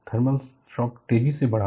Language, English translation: Hindi, So, thermal shock precipitated